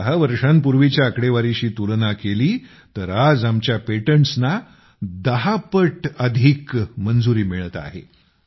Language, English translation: Marathi, If compared with the figures of 10 years ago… today, our patents are getting 10 times more approvals